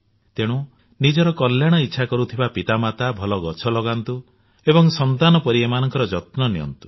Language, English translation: Odia, Therefore it is appropriate that parents desiring their wellbeing should plant tree and rear them like their own children